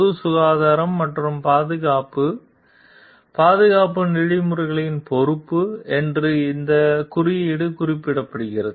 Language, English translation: Tamil, These code specifies that it is the responsibility to of the engineers to protect the public health and safety